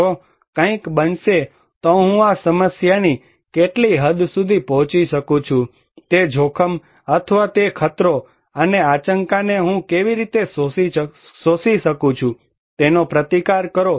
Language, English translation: Gujarati, If something will happen, what extent I can overcome that problem, that risk or that danger and how I can absorb the shock, the resist